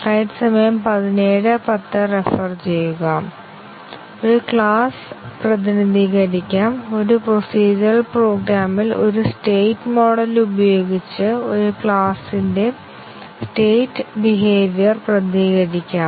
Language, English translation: Malayalam, A class can be represented; the state behavior of a class can be represented with a state model in a procedural program